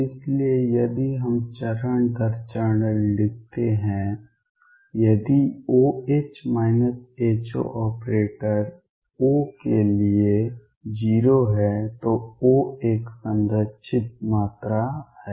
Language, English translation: Hindi, So, if let us write step by step if O H minus H O for operator O is 0 O is a conserved quantity